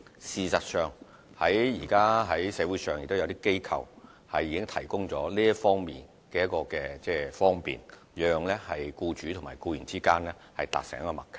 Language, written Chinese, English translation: Cantonese, 事實上，現時在社會上也有一些機構提供這方面的方便，讓僱主與僱員達成默契。, In fact some organizations in the community presently have also put in place facilitating arrangements in this regard to enable employers and employees to arrive at a better mutual understanding